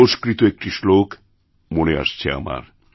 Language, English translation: Bengali, I am reminded of one Sanskrit Shloka